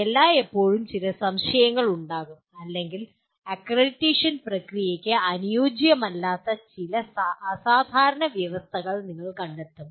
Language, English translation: Malayalam, There will always be some misgivings or you will find some exceptional conditions under which the accreditation process does not suit